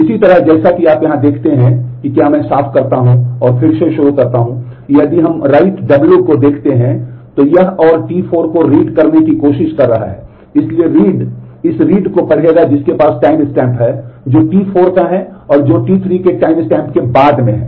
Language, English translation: Hindi, Similarly as you see here if I clean and start again if we look at write W this is trying to do read and T 4, so read will this read has a timestamp which is of T 4 which is later than the timestamp of T 3